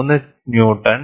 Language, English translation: Malayalam, 8 kilo Newton’s